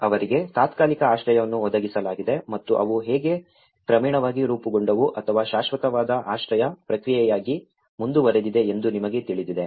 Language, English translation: Kannada, You know there is a temporary shelter which they have been provided for them and how they gradually shaped into or progressed into a permanent shelter process